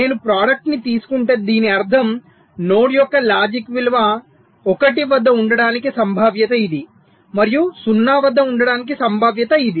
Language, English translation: Telugu, if i take the product, it means i am saying that this is the probability that the logic value of the node will be at one and also will be at zero, which means there is a transition